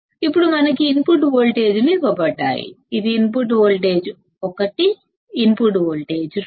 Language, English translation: Telugu, Now, we have being given the input voltages; this is input voltage 1, input voltage 2